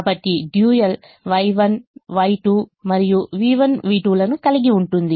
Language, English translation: Telugu, so the dual will have y one, y two and v one, v two